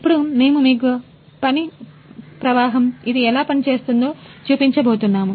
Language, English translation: Telugu, Now we are going to show you how the work flow, how this actually work